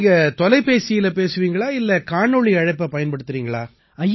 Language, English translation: Tamil, Do you talk through Voice Call or do you also use Video Call